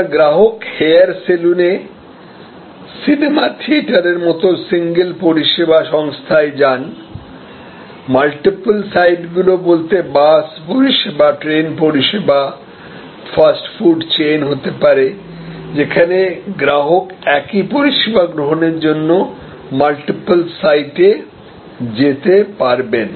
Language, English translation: Bengali, So, customer goes to the service organization like the movie theatre at the hair salon, multiple sites could be bus service, train service, fast food chain, where the customer can go to multiple sites for consuming the same service